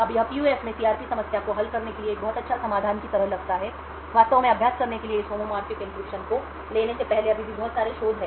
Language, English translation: Hindi, Now this seems like a very good solution for solving CRP problem in PUF, there are still a lot of research before actually taking this homomorphic encryption to practice